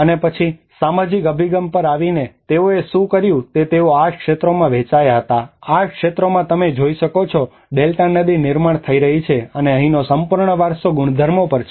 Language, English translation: Gujarati, And then coming to the social approach, what they did was they divided into 8 sectors the whole region into the eight sectors like you can see the River Delta which is forming out and the whole heritage properties about here